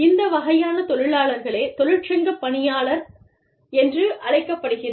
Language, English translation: Tamil, This kind of an employee, is known as a, union steward